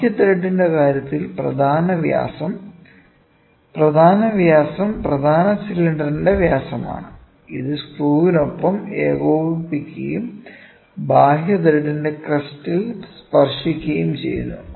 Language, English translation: Malayalam, Major diameter in case of external thread, the major diameter is a diameter of the major cylinder, which is coaxial with the screw and touches the crests of an external thread